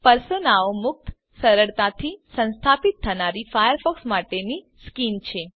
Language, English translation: Gujarati, # Personas are free, easy to install skins for Firefox